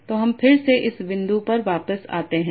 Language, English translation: Hindi, So, let me come back to this point again